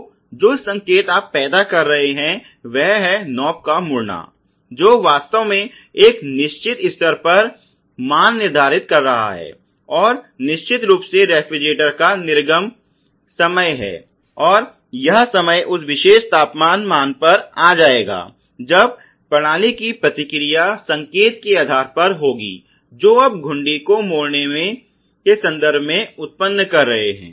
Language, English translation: Hindi, So, the signal that you are generating is that turning of the knob which is actually setting the value to a certain level, and the output of refrigerator of course is the time that it would I mean in sometime it would come to that particular temperature value that is the response of the system based on the signal that you are generating in terms of turning the knob